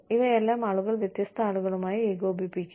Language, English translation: Malayalam, And all of these, people will be coordinating, with different people